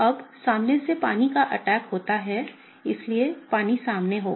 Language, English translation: Hindi, Now water attacked from the front, so water will be in the front